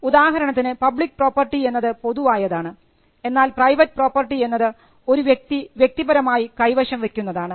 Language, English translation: Malayalam, For instance, public property is something which is held in common, what we call the commons and private property is something which a person holds for himself individually